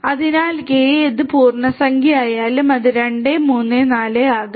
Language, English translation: Malayalam, So, K can be any integer it could be 2, 3, 4, whatever